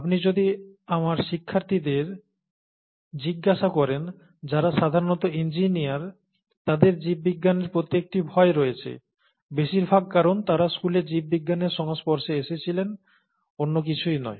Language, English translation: Bengali, At the same time, if you ask my students, who are typically engineers, they have a fear for biology, mostly because of the way they have been exposed to biology in school, nothing else